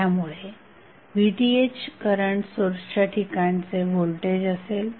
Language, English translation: Marathi, So, voltage Vth would be across the current source